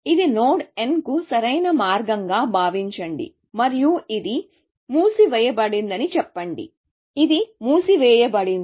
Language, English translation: Telugu, Let this be the optimal path to the node n, and let us say that this is in closed; this is in closed